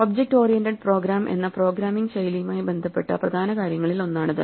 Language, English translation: Malayalam, This is one of the main things which are associated with a style of programming called Object Oriented program